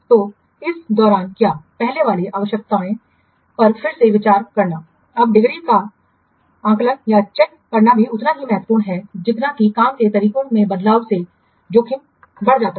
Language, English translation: Hindi, So during this what reconsidering the precedence requirements now it is also equally important to assess the degree to the extent to which the changes in the work practices it increased the risk